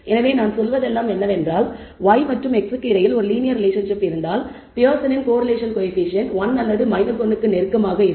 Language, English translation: Tamil, So, all we are saying is this if there exists a linear relationship between y and x then the Pearson’s correlation coefficient will be either close to 1 or minus 1 perfect relationship linear relationship